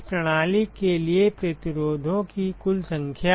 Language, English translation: Hindi, Total number of resistances for this system